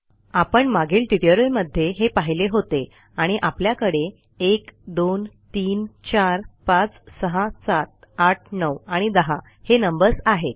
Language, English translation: Marathi, We now have to create these Ive shown you this in my earlier tutorials and well have the numbers 1 2 3 4 5 6 7 8 9 and 10 Ok